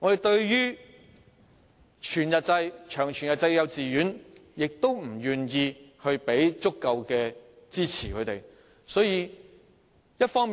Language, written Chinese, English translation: Cantonese, 對於全日制及長全日制的幼稚園，政府亦不願意提供足夠的支持。, Neither is the Government willing to provide sufficient support to whole - day and long whole - day kindergartens